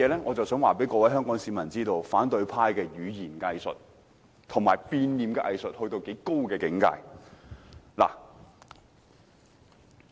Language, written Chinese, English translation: Cantonese, 我想告訴香港市民，反對派的語言"偽術"和變臉的藝術達至多高的境界。, I would like to tell Hong Kong people how amazing the opposition camp displays the art of double - talk and the art of volte - face